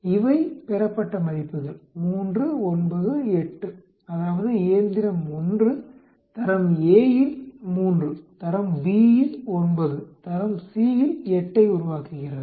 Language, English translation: Tamil, These are the observed values 3, 9, 8 that means, machine 1 is making a 3 of grade A, 9 of grade B and 8 of grade C